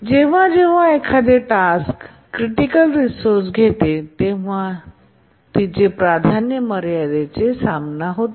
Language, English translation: Marathi, And whenever a task acquires a resource, a critical resource, its priority becomes equal to the ceiling